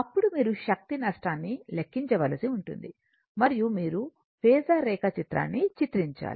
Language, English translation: Telugu, Then you have to find out calculate the power loss, and you have to show the phasor diagram right